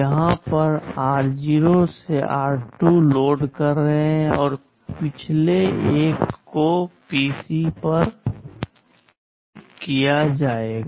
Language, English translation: Hindi, Here you are loading r0 to r2, and the last one will be loaded to PC